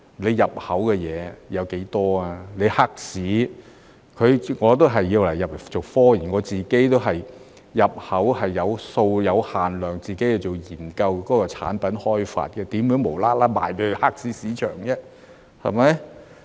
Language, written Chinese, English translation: Cantonese, 我入口也是為了做科研，我自己也是有限量入口，只是為了研究產品開發，怎會無緣無故賣給黑市市場呢？, I likewise import products for scientific research and I import a limited quantity for product research and development only